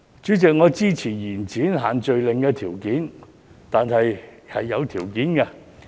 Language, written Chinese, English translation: Cantonese, 主席，我支持延展限聚令，但卻是有條件的。, President I support the extension of social gathering restrictions but with a caveat